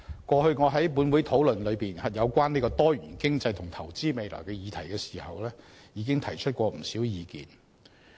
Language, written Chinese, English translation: Cantonese, 過去我在本會討論有關多元經濟和投資未來的議題時，已提出不少意見。, I have proposed quite a lot of ideas in my previous discussions on issues relating to a diversified economy and investing for the future in this Council